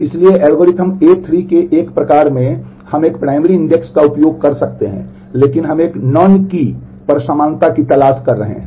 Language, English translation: Hindi, In a variant of this algorithm A3 we may be using a primary index, but we are looking for equality on a non key